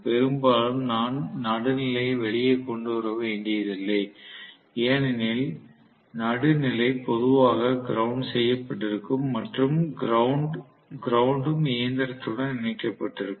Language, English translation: Tamil, Maybe, I will have to bring out the neutral as well; very often I might have to bring out the neutral because the neutral will be normally grounded and the ground will also be connected to the body of the machine